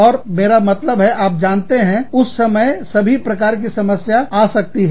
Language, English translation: Hindi, And, i mean, you know, all kinds of problems, could come up at that time